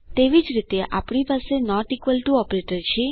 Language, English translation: Gujarati, Similarly, we have the not equal to operator